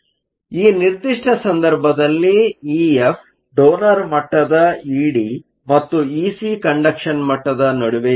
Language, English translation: Kannada, So, In this particular case E F will be located between the donor level E D and the conduction level E c